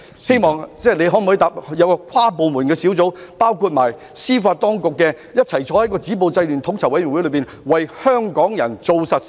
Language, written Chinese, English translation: Cantonese, 司長可否承諾會成立包括司法當局代表的跨部門小組或統籌委員會，為香港人做實事呢？, Can the Chief Secretary undertake to set up an inter - departmental task force or coordinating committee comprising representatives from the judicial authorities and do some concrete things for Hong Kong people?